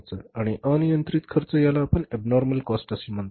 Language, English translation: Marathi, Uncontrollable costs are we say they are the abnormal cost